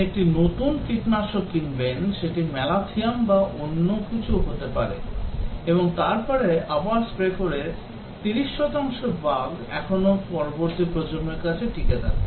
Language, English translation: Bengali, You buy a new pesticide may be Malathion or something, and then spray again 30 percent of the bugs still survive to the next generation